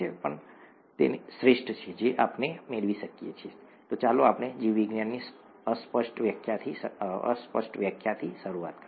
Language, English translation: Gujarati, And that is the best that we can get, and let us start with the vaguest definition in biology pretty much